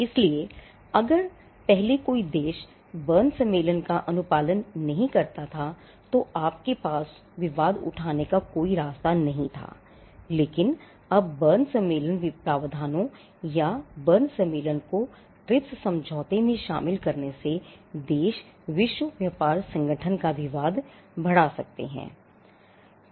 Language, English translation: Hindi, So, earlier if a country did not comply with the Berne convention there was no way in which you can raise that as a dispute, but now this arrangement of incorporating Berne convention provisions or the Berne convention into the TRIPS agreement brought in countries the ability to raise a WTO dispute